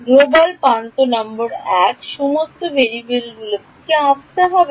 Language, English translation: Bengali, Global edge number 1, what all variables would have come